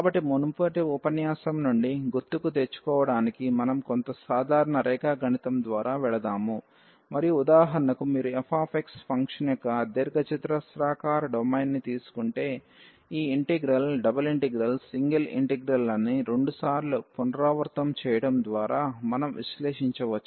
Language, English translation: Telugu, So, just to recall from the previous lecture, we have gone through some simple geometry and for example, if you take the rectangular domain of the function f x then this integral the double integral, we can evaluate by repeating the single integrals 2 time